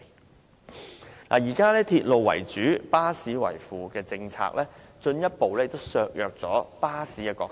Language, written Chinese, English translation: Cantonese, 當局現時以鐵路為主，巴士為輔的政策，進一步削弱了巴士的角色。, The authorities existing policy of a railway - based network complemented by bus services has further weakened the role of bus in our transport system